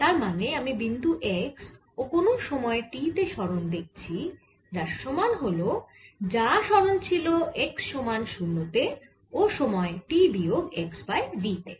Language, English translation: Bengali, so i am looking at displacement at point x at time t, it is going to be equal to what the displacement was at x equals zero at time t, minus x minus v